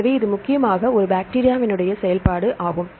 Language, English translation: Tamil, So, this is the mainly a bacterial function right